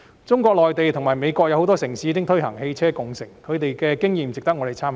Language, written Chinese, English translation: Cantonese, 中國內地及美國有很多城市已推行汽車共乘，它們的經驗值得我們參考。, Many cities in the Mainland and the United States US have implemented ride - sharing and their experience is worthy of our reference